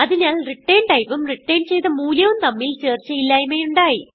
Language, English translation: Malayalam, So, there is a mismatch in return type and return value